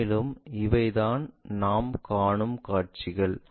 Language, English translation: Tamil, And, these are the views what we are perceiving